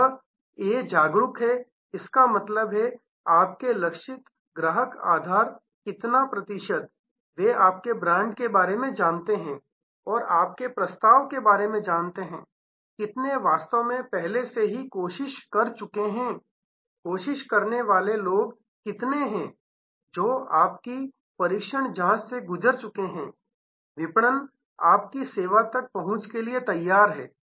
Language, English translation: Hindi, This A stands for aware; that means, what percentage of your target customer base, they aware of your brand, aware of your offerings, how many of have actually already tried, how many what percentage of the tried people, who have gone through your trial test, marketing have ready access to your service